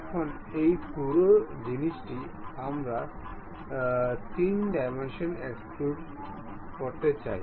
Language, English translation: Bengali, Now, this entire thing, we would like to extrude it in 3 dimensions